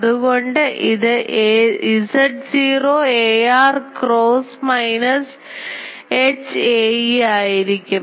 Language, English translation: Malayalam, So, this will be minus Z naught ar cross minus H theta a theta